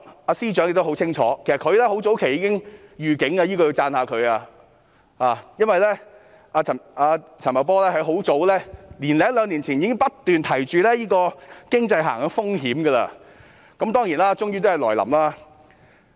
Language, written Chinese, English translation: Cantonese, 其實，陳茂波很早便已作出預警，這要讚揚他，因為他早在年多兩年前已不斷提及經濟下行的風險，而最終也來臨。, In fact Paul CHAN has issued a warning well in advance . I have to commend him in this regard for he has kept reminding us of the risk of economic downturn for a year or two . The downturn comes eventually